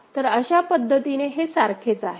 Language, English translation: Marathi, So, that way it is similar